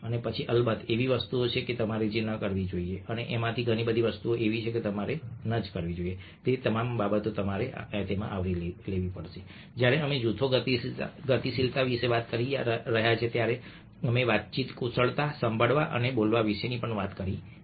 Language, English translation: Gujarati, and many of these things which are supposed not to do are things we have covered when we are talked about group dynamics, when we have talked about conversation skills, listening and speaking skills, the basics of communication